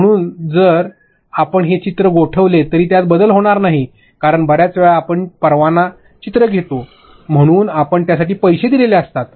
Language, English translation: Marathi, So, if you freeze this graphic later on it would not change because many times we take license graphics, so you pay for it